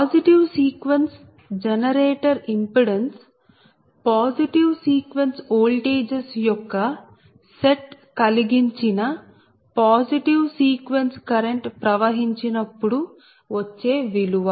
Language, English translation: Telugu, therefore, the positive sequence generator impedance is the value found when positive sequence current flows due to an imposed positive sequence set of voltages